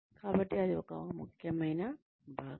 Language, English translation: Telugu, So, that is an essential component